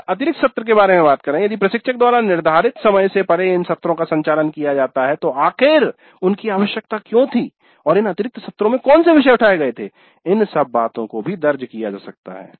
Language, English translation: Hindi, Then additional sessions if they are conducted by the instructor beyond the scheduled hours, why they were required and on what topics the additional sessions were taken up, that all can be recorded